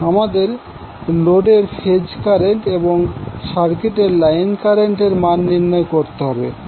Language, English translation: Bengali, What we have to find out, we have to find out the phase current of the load and the line currents of the circuit